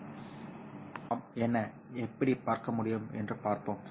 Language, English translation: Tamil, So let us see what and how we can look at